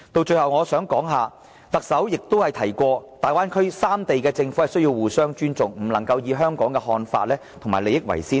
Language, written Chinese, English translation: Cantonese, 最後我想談談特首曾提及大灣區三地的政府需要互相尊重，不能以香港的看法和利益為先的問題。, Lastly let me comment on one opinion of the Chief Executive . She says that the governments of the three sides in the Bay Area must respect one another so we should not insist on putting Hong Kongs views and benefits first